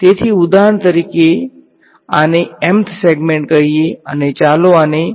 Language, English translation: Gujarati, So, for example, this let us call this m th segment and let us call this y m